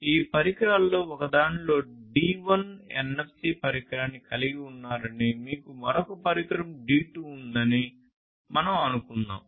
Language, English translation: Telugu, Let us say that you have in one of these devices D1 NFC device, you have another device D2